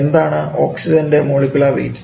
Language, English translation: Malayalam, And what is the unit of molecular weight